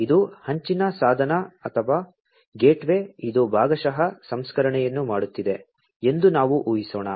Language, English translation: Kannada, Let us assume, that this is the edge device or the gateway, which is doing partial processing